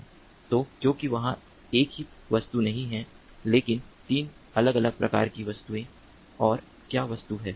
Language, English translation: Hindi, so because there are, there is not not a single object, but three different types of objects